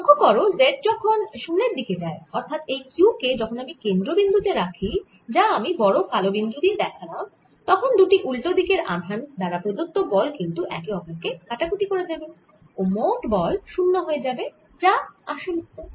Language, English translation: Bengali, notice, as z goes to zero, that means if i put this charge, q, at the center i am showing it in the big red circle then the forces from opposite sides cancel each other and net force is going to be zero, which is indeed the answer